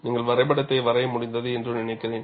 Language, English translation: Tamil, I suppose, you have been able to draw the graph and it is very simple